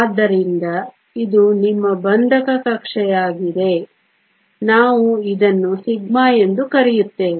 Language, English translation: Kannada, So, this is your bonding orbital we will call it sigma